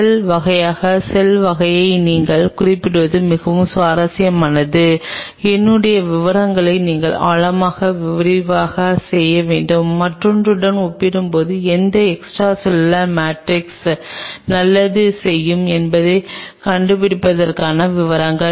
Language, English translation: Tamil, It is very interesting to note the cell type to cell type you have to really work it out in depth in detail in mine to is details to figure out that which extracellular matrix will do good as compared to the other one